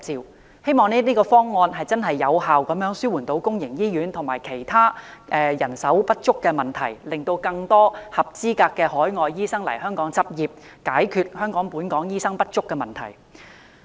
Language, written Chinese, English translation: Cantonese, 我希望這方案能真正有效紓緩公營醫院及其他人手不足的問題，令更多合資格的海外醫生來港執業，解決本港醫生不足的問題。, I hope this proposal can truly and effectively alleviate manpower shortage in public hospitals and other institutions by enabling more qualified overseas doctors to practise in Hong Kong . This can in turn resolve the problem of doctor shortage in Hong Kong